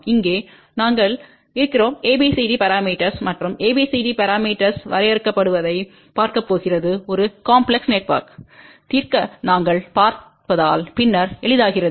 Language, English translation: Tamil, Here we are going to look at ABCD parameters and the way ABCD parameters are defined which actually becomes easier later on as we will see to solve a complex network